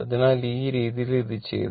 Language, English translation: Malayalam, So, this way it has been done